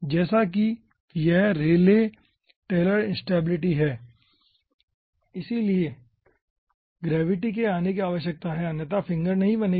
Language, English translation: Hindi, as it is rayleigh, taylor, instability, so gravity needs to come, otherwise the finger will not be forming